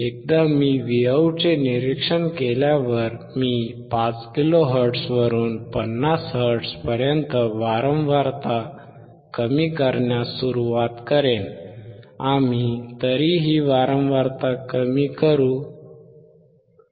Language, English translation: Marathi, Once I observe the Vout, I will start decreasing the frequency slowly from 5 kilohertz to 50 hertz